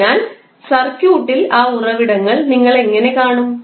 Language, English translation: Malayalam, So, how will you see those sources in the circuit